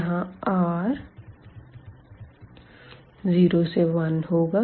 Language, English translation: Hindi, So, r is moving from 0 to 1